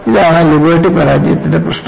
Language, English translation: Malayalam, So, this was the problem with Liberty failure